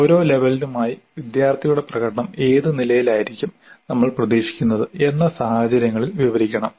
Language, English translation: Malayalam, Then for each level we should describe under what conditions the student's performance is expected to be at that level